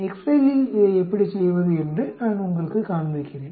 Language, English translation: Tamil, Let me show you how to do it in excel